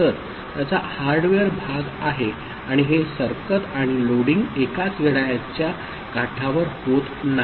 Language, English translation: Marathi, So, this is the hardware part of it and this shifting and loading are not happening in the same clock edge